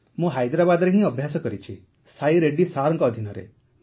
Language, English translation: Odia, Mostly I have practiced in Hyderabad, Under Sai Reddy sir